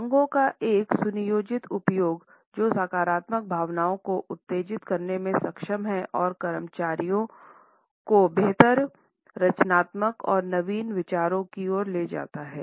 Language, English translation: Hindi, A well planned use of colors which are able to stimulate positive feelings amongst the employees would lead them to better creativity and innovative ideas